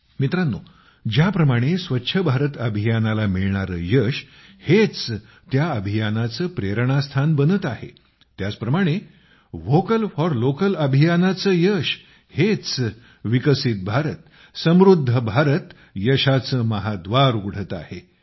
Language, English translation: Marathi, Friends, just as the very success of 'Swachh Bharat Abhiyan' is becoming its inspiration; the success of 'Vocal For Local' is opening the doors to a 'Developed India Prosperous India'